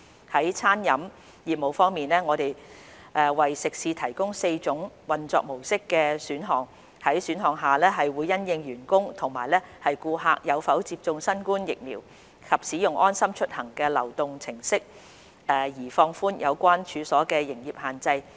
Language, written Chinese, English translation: Cantonese, 在餐飲業務方面，我們為食肆提供4種運作模式的選項，在選項下會因應員工和顧客有否接種新冠疫苗及使用"安心出行"流動應用程式而放寬有關處所的營業限制。, In respect of catering business we have provided four types of mode of operation for eateries under which the operation restrictions on the relevant premises would be relaxed subject to whether their staff and customers have received COVID - 19 vaccination and the use of the LeaveHomeSafe mobile application